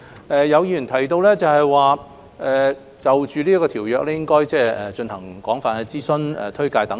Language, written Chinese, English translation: Cantonese, 有議員提到，政府應就《2019年版權條例草案》進行廣泛諮詢和推廣。, Some Members have mentioned that the Government should conduct extensive consultation and publicity on the Copyright Amendment Bill 2019 the Bill